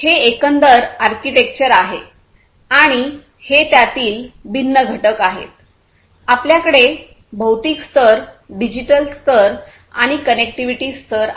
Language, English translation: Marathi, So, this is the overall architecture that can help in this thing and these are the different components in it; we have the physical layer, we have the digital layer and we have the connectivity layer